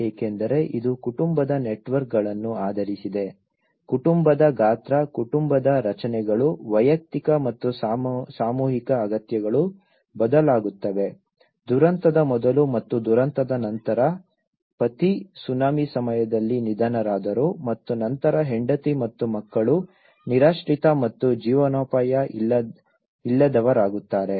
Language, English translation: Kannada, Because, it is also based on the family networks, the family size, the family structures, the individual and collective needs vary, before disaster and after disaster a husband male he has been killed during a tsunami and then the wife and the children will be homeless and livelihood less